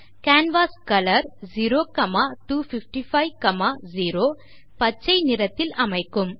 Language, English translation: Tamil, canvascolor 0,255,0 makes the canvas green